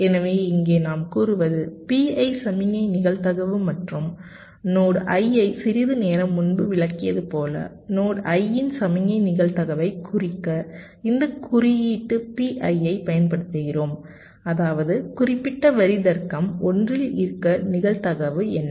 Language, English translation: Tamil, as we have, ah, just explained some time back, we use this notation p i to denote the signal probability of node i, which means what is the probability that the particular line will be at logic one